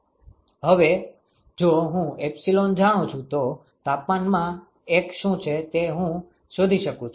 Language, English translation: Gujarati, Now, if I know epsilon I can find out what is the one of the temperatures